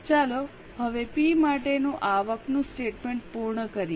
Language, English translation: Gujarati, Now let us complete the income statement for P